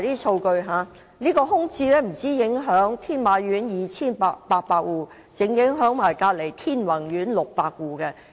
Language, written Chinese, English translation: Cantonese, 商鋪空置不單影響天馬苑的2800戶家庭，更影響鄰近天宏苑的600戶家庭。, Vacancy of shops has not only affected 2 800 households of Tin Ma Court but also 600 households of Tin Wang Court nearby